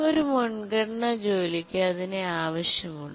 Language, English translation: Malayalam, Now a high priority task needs that resource